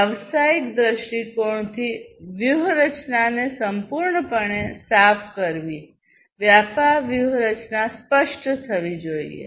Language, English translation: Gujarati, Clearing the strategy completely from a business point of view; business strategy should be clarified